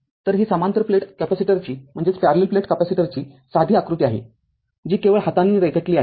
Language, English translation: Marathi, So, this is a parallel plate capacitor simple diagram, I have drawn it by hand only right